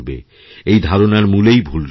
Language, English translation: Bengali, This notion is basically unfounded